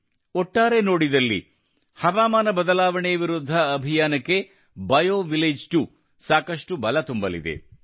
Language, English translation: Kannada, Overall, BioVillage 2 is going to lend a lot of strength to the campaign against climate change